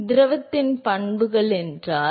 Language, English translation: Tamil, So, if the properties of the fluid